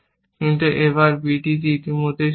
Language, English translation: Bengali, On a b is also true